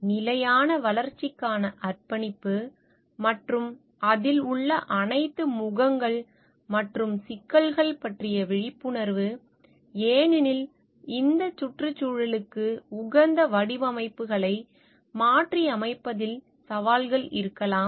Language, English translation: Tamil, Commitment to sustainable development as well as the awareness of all the faces and complexities involved because there could be challenges in adapting this environmentally friendly designs in terms of maybe the cost involved